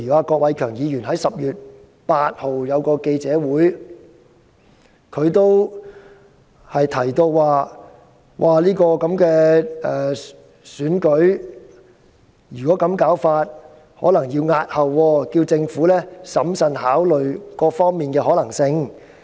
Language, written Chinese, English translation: Cantonese, 郭偉强議員在10月8日召開記者會，提到情況如果這樣下去便可能要押後選舉，因而請政府審慎考慮各方面的可能性。, Mr KWOK Wai - keung convened a press conference on 8 October stating that the Election might have to be postponed if the situation had remained unchanged . He thus urged the Government to seriously consider various possibilities